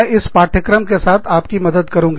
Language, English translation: Hindi, I will be helping you, with this course